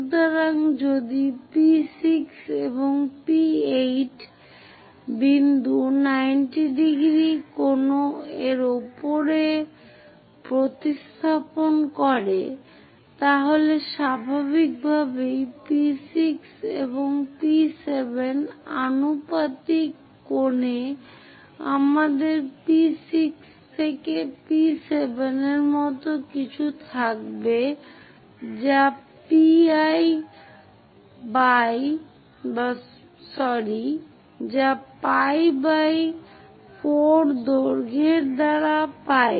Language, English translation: Bengali, So, if point P6 to P8 if it is going to cover 90 degrees angle, then naturally P6 to P7 proportionate angle we will be having something like P6 to P7 it takes pi by 4 length